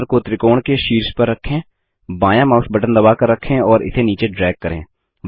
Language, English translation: Hindi, Then place the cursor on top of the triangle, hold the left mouse button and drag it down